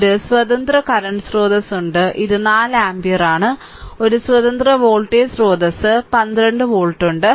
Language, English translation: Malayalam, And one independent current source is there this is 4 ampere and one independent voltage source is there that is 12 volt right